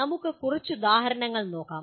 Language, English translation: Malayalam, Let us look at some more examples